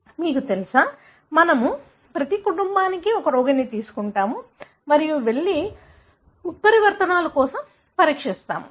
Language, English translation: Telugu, You know, we take one patient for every family and simply you go and screen for the mutations